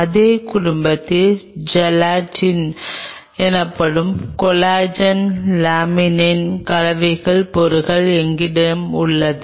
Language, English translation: Tamil, Then in the same family we have a mix kind of stuff of collagen laminin called Gelatin